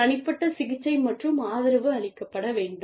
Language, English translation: Tamil, Individual treatment and support